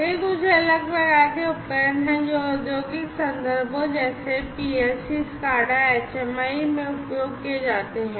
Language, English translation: Hindi, These are some of the different types of devices that are used in the industrial contexts, right, PLC, SCADA, HMI